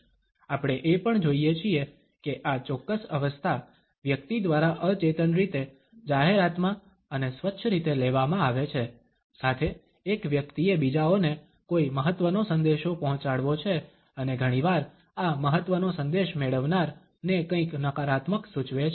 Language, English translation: Gujarati, We also find that this particular position is taken up by a person in advert and clean unconsciously with a person has to pass on any important message to others, and often this important message suggests something negative to the receiver